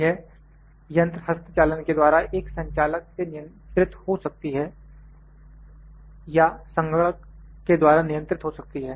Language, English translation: Hindi, To this machine may be manually controlled by an operator or it may be computer control